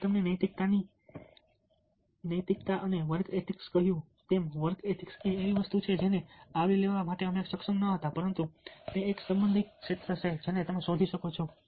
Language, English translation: Gujarati, work ethics as i told you, morality ethics and work ethics say something which we may not able to cover, but its a relevant area